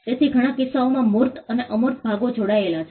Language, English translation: Gujarati, So, in many cases that tangible and the intangible parts are connected